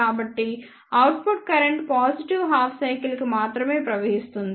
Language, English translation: Telugu, So, the output current flows only for the positive half cycle